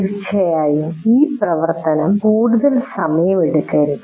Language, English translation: Malayalam, Of course, this activity should not take too long